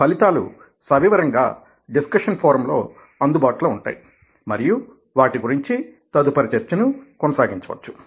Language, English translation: Telugu, the detailed results will be available in the discussion forum, where it will be posted and we can have further discussion on that